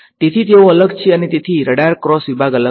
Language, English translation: Gujarati, So, they are different and therefore, the radar cross section is going to be different